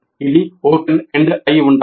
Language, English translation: Telugu, It must be open ended